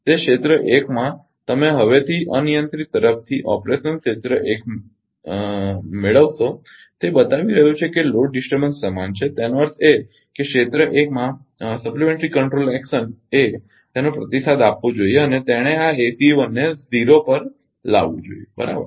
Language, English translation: Gujarati, That that in area 1 that the you now from the from the uncontrolled would have operation area 1 it is showing that it is equal to the load disturbance; that means, supplementary control action in area 1 it should respond and it should it should been this ACE 1 to zero, right